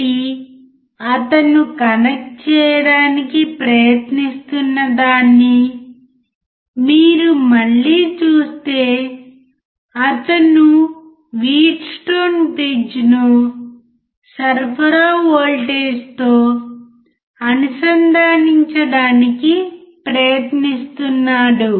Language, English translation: Telugu, So, if you see again what he is trying to connect he is trying to connect the Wheatstone bridge with the supply voltage